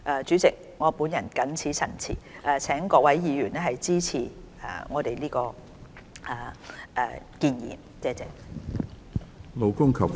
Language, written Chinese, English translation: Cantonese, 主席，我謹此陳辭，請各位議員支持原議案。, With these remarks President I implore Members to support the original motion